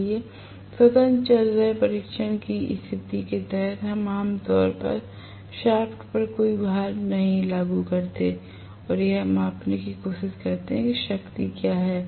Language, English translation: Hindi, So, under free running test condition we normally apply no load on the shaft and try to measure what is the power